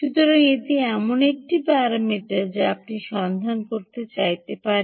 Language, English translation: Bengali, so, ah, this is a parameter which you may want to look out